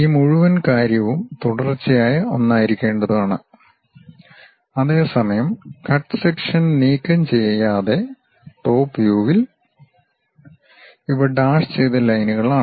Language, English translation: Malayalam, This entire thing supposed to be continuous one whereas, in top view without removing that cut section; these are dashed lines